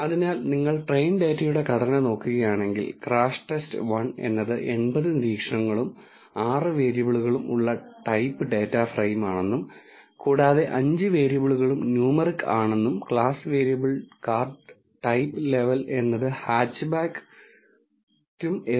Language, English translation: Malayalam, So, if you look at the structure of the train data it tells you that crashTest underscore 1 is of the type data frame with 80 observations and 6 variables and all the five variables are numeric and the class variable which is card type is a factor with levels hatchback and SUV